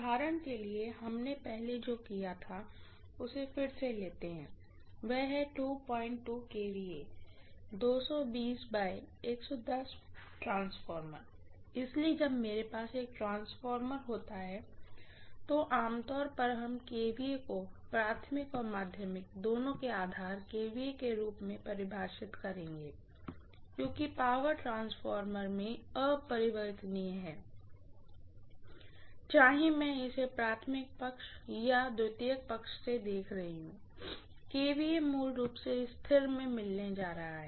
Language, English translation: Hindi, 2 kVA, 220 V by 110 V transformer, so when I have a transformer, generally we will define the kVA as the base kVA for both primary and secondary because the power is invariant in the transformer, whether I am looking at it from the primary side or secondary side, I am going to have the kVA as a constant basically